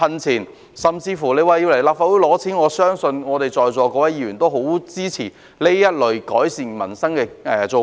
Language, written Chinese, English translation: Cantonese, 即使要來立法會申請撥款，我相信在座各位議員也會很支持這類改善民生的措施。, Even if funding approval from the Legislative Council is required I believe Members here will be very supportive of this kind of measures for improving peoples livelihood